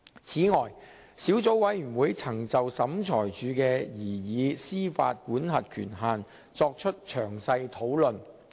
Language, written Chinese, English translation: Cantonese, 此外，小組委員會曾就小額錢債審裁處的民事司法管轄權限作出詳細討論。, Besides the Subcommittee discussed the civil jurisdictional limit of the Small Claims Tribunal SCT in detail